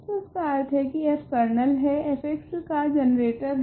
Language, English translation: Hindi, So, that already means that f is the generator of the kernel f x